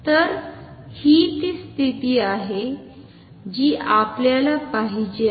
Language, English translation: Marathi, So, this is the condition we want